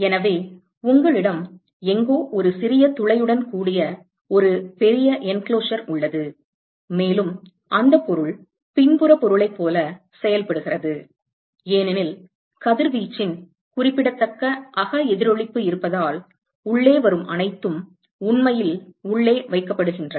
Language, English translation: Tamil, So, you have a large enclosure with a small pinhole somewhere and that body behaves like a back body because there is a significant internal reflection of radiation and so, everything which comes in is actually kept inside